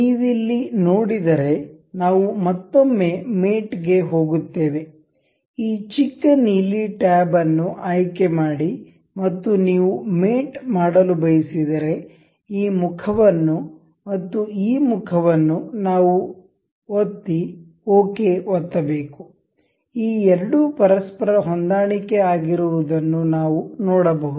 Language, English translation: Kannada, Once again we can see it will go to mate, this little blue blue tab select this and if you want to mate this say this face to this face and we will click ok, we can see these two are aligned with each other